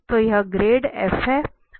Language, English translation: Hindi, So this is the grad F